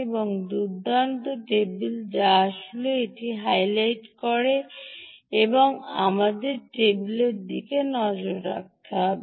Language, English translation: Bengali, there is a nice table which actually highlights that and we will have a look at the table